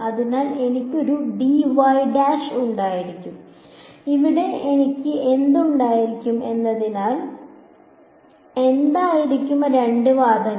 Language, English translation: Malayalam, So, I will have a d y prime and here what will I have what will be the two arguments